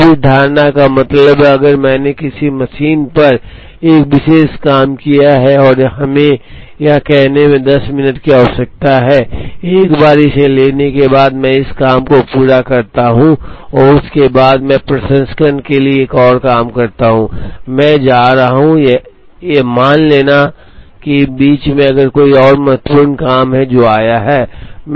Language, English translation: Hindi, Now this assumption means that, if I have taken up a particular job on a machine and let us say it requires 10 minutes, once I take it up, I complete this job and only then I pick up another job for processing, I am going to assume that in between if there is a more important job that has come